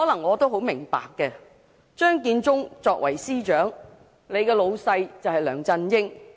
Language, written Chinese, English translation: Cantonese, 我很明白張建宗作為司長，上司就是梁振英。, I can well understand that LEUNG Chun - ying is his boss